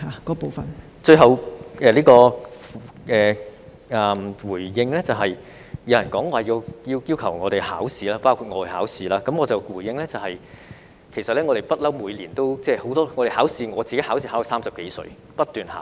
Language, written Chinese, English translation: Cantonese, 我最後想回應的是，有人要求醫生——包括我——去考試，我的回應是，其實我們一向都會每年考試，我自己考試亦考到30多歲，不斷地考。, Lastly I want to respond to the call for doctors including myself to take exam . My response is that we do take exam every year actually . I have been taking exams non - stop until my thirties